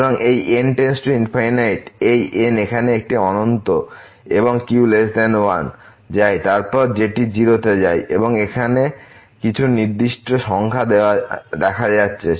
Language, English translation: Bengali, So, this goes to infinity this here it goes to infinity and is less than 1 then this goes to 0 and here some fixed number is appearing